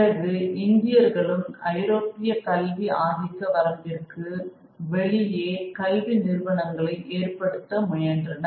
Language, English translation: Tamil, Then Indians also tried to set up alternative educational institutions outside the purview of European educational institutions